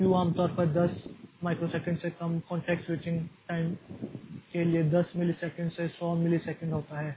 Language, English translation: Hindi, Q is usually 10 millisecond to 100 milliseconds for context switching time less than 10 microsecond